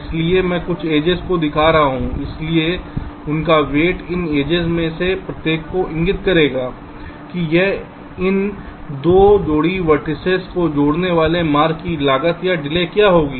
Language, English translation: Hindi, so the weight of this, each of this edges, will indicate that what will be the cost or the delay of the path connecting these two pair of vertices